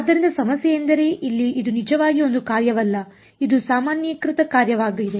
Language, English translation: Kannada, So, the problem is that here this is not actually a function this is a generalized function